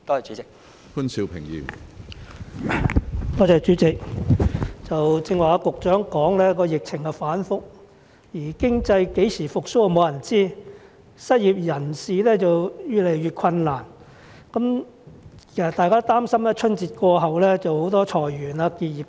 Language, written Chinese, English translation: Cantonese, 主席，局長剛才表示疫情反覆，沒有人知道經濟何時會復蘇，失業人士的生活則越來越困難，大家擔心春節過後會出現裁員結業潮。, President given the fluctuating epidemic situation as mentioned by the Secretary just now no one knows when the economy will recover . The lives of the unemployed are going from bad to worse . People are worried that waves of businesses closing down and layoffs may emerge after the Lunar New Year